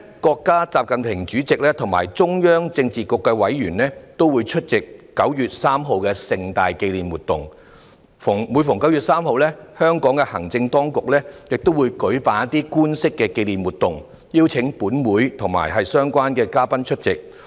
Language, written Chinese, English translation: Cantonese, 國家主席習近平及中央政治局的委員每年都會出席9月3日的盛大紀念活動，而每逢9月3日，香港的行政當局亦會舉辦官式的紀念活動，邀請立法會及相關的嘉賓出席。, While President XI Jinping and members of the Political Bureau of the Central Committee of the Communist Party of China attend the grand commemoration held on 3 September every year the Administration of Hong Kong also organizes an official commemorative event on 3 September every year . Members of the Legislative Council and relevant guests would be invited to attend